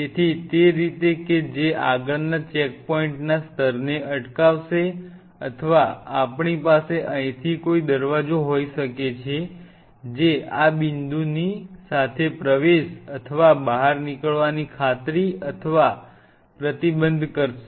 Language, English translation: Gujarati, So, that way that will prevent a further level of checkpoint or we could have kind of a sliding door out here which will ensure or restrict entry and the exit along this point